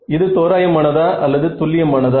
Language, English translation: Tamil, Is that approximate or exact